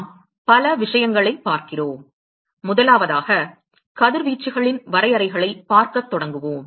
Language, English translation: Tamil, We look at several things, one is we will start looking at definitions of radiations